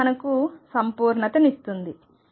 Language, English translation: Telugu, This is what completeness is given us